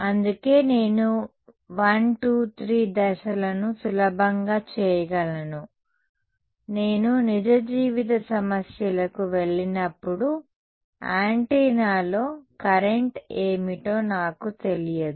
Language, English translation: Telugu, So, that is why I can do step 1, 2, 3 easily, when I go to real life problems I actually do not know what is the current on the antenna itself